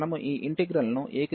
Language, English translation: Telugu, So, we have taken this integral a to b